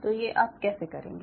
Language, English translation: Hindi, so what they do